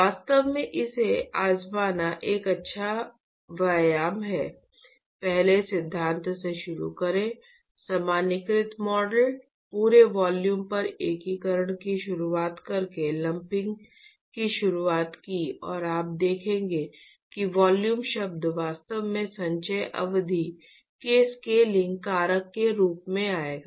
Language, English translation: Hindi, In fact, it is a good exercise to try this; start from the first principle, the generalized model, introduced the lumping by introducing the integration over the whole volume and you will see that the volume term will actually come as a scaling factor in the accumulation term